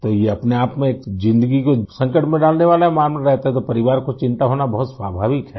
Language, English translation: Hindi, So it is a lifethreatening affair in itself, and therefore it is very natural for the family to be worried